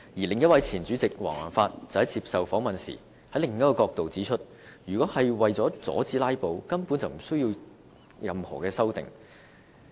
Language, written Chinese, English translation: Cantonese, 另一位前主席黃宏發接受訪問時，從另一角度指出，如果是為了阻止"拉布"，根本無須作出任何修訂。, Another former President Andrew WONG took another perspective as he said in an interview that if it was for stopping filibusters there was actually no need to introduce amendments